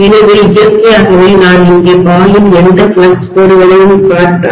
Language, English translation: Tamil, So naturally if I look at any flux lines that are probably going to flow here, right